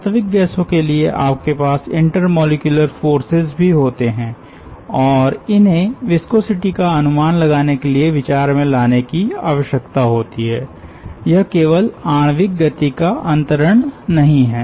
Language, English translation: Hindi, for real gases you also have intermolecular forces of interaction and that needs to be considered for estimating the viscosity